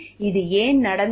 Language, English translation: Tamil, Why this happened